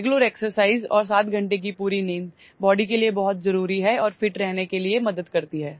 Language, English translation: Hindi, Regular exercise and full sleep of 7 hours is very important for the body and helps in staying fit